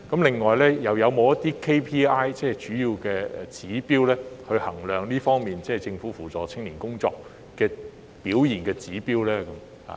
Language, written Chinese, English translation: Cantonese, 此外，是否有一些主要指標來衡量政府扶助青年工作的成效呢？, Moreover have any key performance indicators KPI been put in place to measure the effectiveness of the Governments work in helping young people?